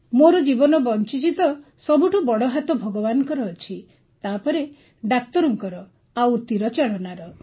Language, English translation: Odia, If my life has been saved then the biggest role is of God, then doctor, then Archery